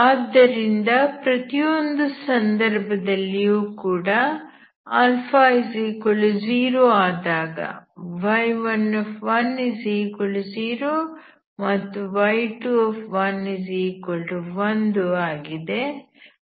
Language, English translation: Kannada, So you can see in each case when alpha equal to 0 so y1 at 1 equal to 1 and y2 at 1 equal to 1